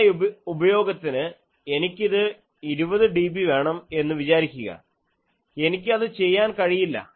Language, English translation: Malayalam, Supposing some application if I require it to be 20 dB, I cannot do